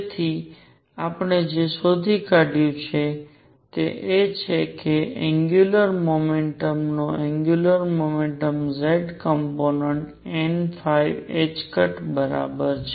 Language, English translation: Gujarati, So, what we have found is that the angular momentum z component of angular momentum is equal to n phi h cross